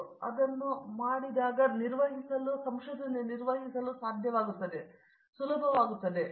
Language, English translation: Kannada, If they do that then they will be able to perform